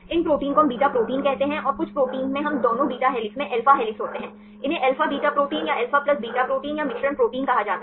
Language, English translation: Hindi, These proteins we call as beta proteins and some proteins we have both alpha helixes in beta strands, they are called alpha beta proteins or alpha plus beta proteins or mixture proteins